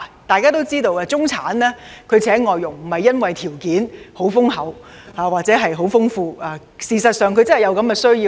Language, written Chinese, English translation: Cantonese, 大家都知道，中產聘請外傭並不是由於家庭條件優厚，而是事實上真的有需要。, As we all know the middle class hires FDHs not because they are well off but because they do have genuine needs